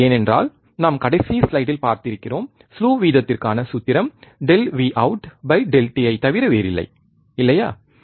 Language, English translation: Tamil, Because we have seen in the last slide, the formula for slew rate is nothing but delta V out upon delta t, isn't it